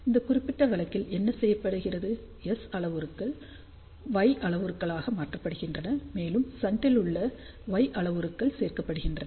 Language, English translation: Tamil, In this particular case what is done, actually S parameters are converted into Y parameter, and Y parameters in shunt get added up